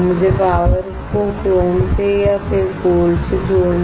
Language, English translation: Hindi, I can apply power either to a or to chrome or I can apply power to gold